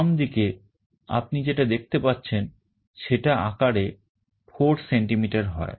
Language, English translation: Bengali, The one on the left you can see is 4 centimeters total in size